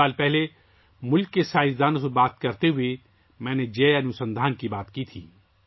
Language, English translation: Urdu, A few years ago, while talking to the scientists of the country, I talked about Jai Anusandhan